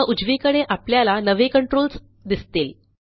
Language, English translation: Marathi, Now on the right we see new controls